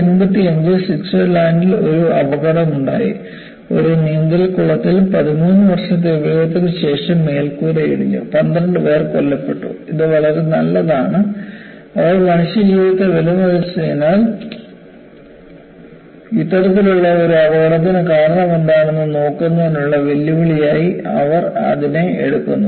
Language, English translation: Malayalam, So, what happen was in 1985, there was an accident in Switzerland, in a swimming pool, the roof collapsed after only 13 years of use; there were 12 people killed; it is very nice, they value the human life's and they take this as a challenge, to look at what was the cause for this kind of an accident